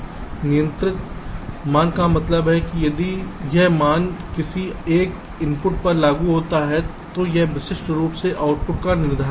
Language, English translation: Hindi, controlling value means if this value is applied on one of the inputs, it will uniquely determine the output